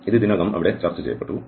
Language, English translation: Malayalam, So, this was already discussed there